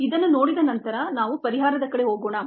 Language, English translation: Kannada, ok, having seen this, let us go about the solution